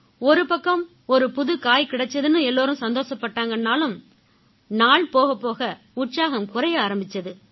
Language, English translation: Tamil, Initially, all were happy as they got a new vegetable, but as days passed by the excitement began going down